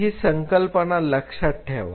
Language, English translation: Marathi, So, keep that concept in mind